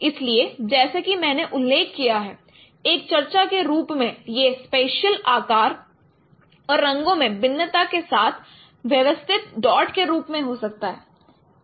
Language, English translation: Hindi, So as I mentioned as I discuss this it could be specially arranged dots with varying in size and colors